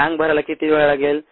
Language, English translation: Marathi, how long would it take to fill the tank, the